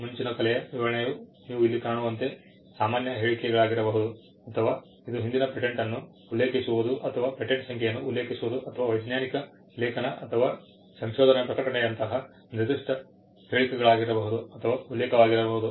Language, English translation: Kannada, The description of prior art could be general statements as you can find here, or it could be specific statements like referring to an earlier patent or referring to a patent number or to a scientific article or a research publication